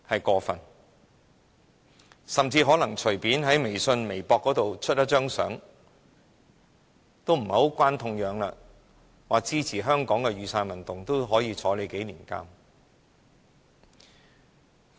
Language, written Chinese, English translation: Cantonese, 更甚者，任何人隨便在微信或微博發放一張無關痛癢的圖片，表示支持香港的雨傘運動，都可能被監禁數年。, Worse still any person who casually posts a harmless picture on WeChat or Weibo to show support for Hong Kongs Umbrella Movement may be put behind bars for a few years